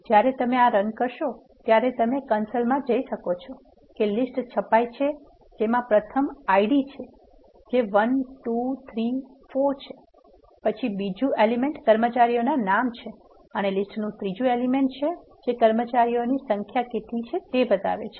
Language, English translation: Gujarati, So, when you execute this course, you can see in the console the list is printed this is the first one IDs 1, 2, 3, 4; this is the second element of the list which are contain the names of employees and the third element of the list which are saying how many number of employees are available